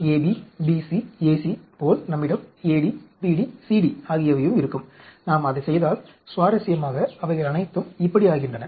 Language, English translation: Tamil, Then, what happens just like AB, BC, AC, we can also AD, BD, CD and if we do that interestingly, they all become like this